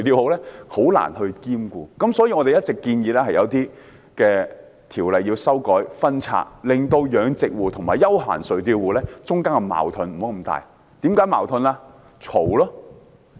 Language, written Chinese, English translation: Cantonese, 漁民很難兼顧，所以我們一直建議修改和分拆一些條例，減少養殖戶和休閒垂釣戶之間的矛盾。, It is difficult for fishermen to handle both kinds of activities . Hence we have been suggesting amending and sorting out some ordinances so as to minimize conflicts between mariculturists and recreational fishing operators